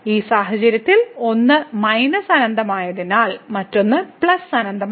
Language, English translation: Malayalam, So, in this case since one is minus infinity another one is plus infinity